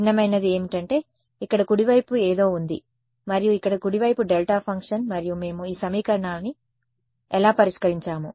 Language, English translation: Telugu, What is different is, here the right hand side is something and here the right hand side is delta function and how did we solve this equation